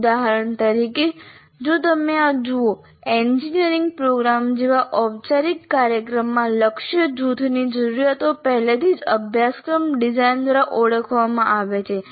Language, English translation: Gujarati, For example, if you look at this, the needs of the target group in a formal program like an engineering program, the needs of the target group are already identified by through the curriculum design